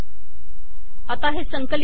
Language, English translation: Marathi, Let me compile this